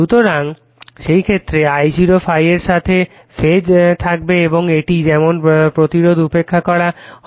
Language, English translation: Bengali, So, in that case I0 will be in phase with ∅ and your as it is as resistance is neglected